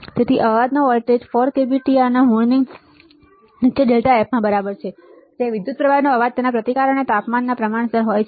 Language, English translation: Gujarati, So, noise voltage is equal to under root of 4 k B T R into delta F, where the noise from a resistor is proportional to its resistance and the temperature